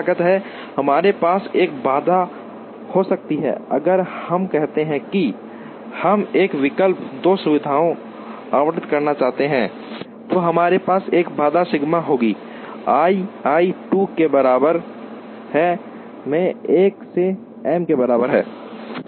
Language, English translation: Hindi, Now, we can have a constraint, if we say that, we want to allocate a exactly 2 facilities then we would have a constraint sigma Y i is equal to 2, i equal to 1 to m